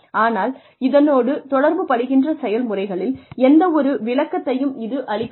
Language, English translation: Tamil, But, it did not offer any explanation of the processes involved